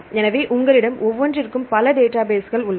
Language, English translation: Tamil, So, you have several databases